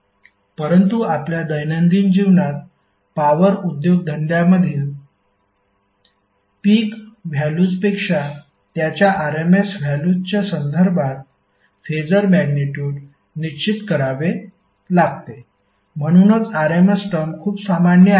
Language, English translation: Marathi, But in our day to day life the power industries is specified phasor magnitude in terms of their rms value rather than the peak values, so that’s why the rms term is very common